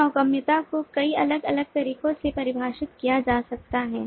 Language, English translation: Hindi, so navigability can be defined in multiple different ways